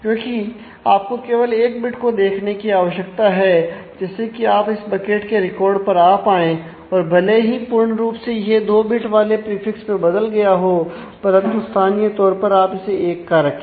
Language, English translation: Hindi, Because it is you just need to look at one bit to be able to come to the records in this bucket and the globally it has changed to 2 bits prefix, but locally you keep it as 1